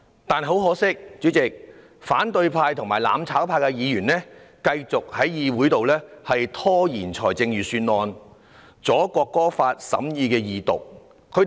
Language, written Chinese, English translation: Cantonese, 但很可惜，主席，反對派和"攬炒派"議員繼續在議會拖延預算案的審議程序，意欲阻礙《國歌條例草案》恢復二讀辯論。, Yet regrettably Chairman Members of the opposition camp and mutual distruction camp have continued to delay the scrutiny proceedings for the Budget in an attempt to obstruct the resumption of Second Reading debate of the National Anthem Bill